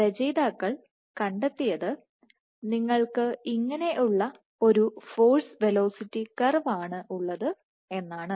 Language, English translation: Malayalam, So, with this what the authors found was you had a force velocity curve, which looks something like this